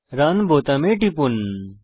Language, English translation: Bengali, Just click on the button Run